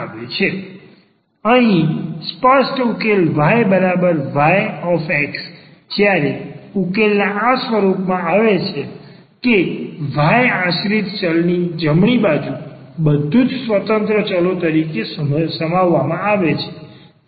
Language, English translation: Gujarati, So, here the explicit solution y is equal to y x, when the solution is given in this form that y the dependent variable is given the right hand side everything contains as the independent variables